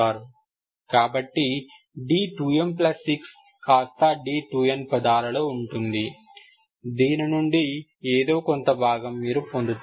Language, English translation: Telugu, So d 2 n plus 6 will be in terms of d 2 n, something else you will get, Ok